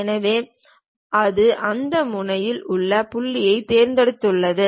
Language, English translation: Tamil, So, it has selected that corner point